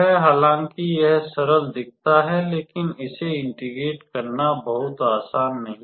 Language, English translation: Hindi, Although, it looks simple; but it is not very easy to integrate this